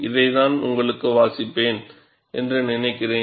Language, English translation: Tamil, I think, I would read this for you